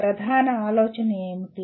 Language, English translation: Telugu, What was the main idea …